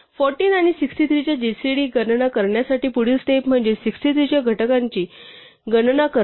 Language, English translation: Marathi, The next step in computing the gcd of 14 and 63 is to compute the factors of 63